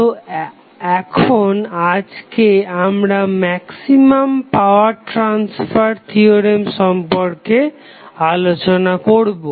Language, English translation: Bengali, So, now, today we will discuss about the maximum power transfer theorem